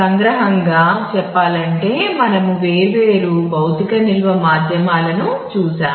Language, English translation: Telugu, So, to summarize we have looked at different physical storage media